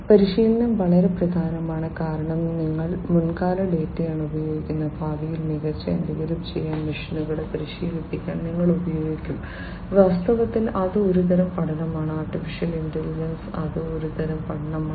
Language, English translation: Malayalam, Training is very important because, you know, so you are using past data, which you will be using to train the machines to do something better in the future that is one type of learning in fact, in AI that is one type of learning right